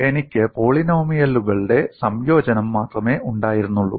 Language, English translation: Malayalam, I had only combination of polynomials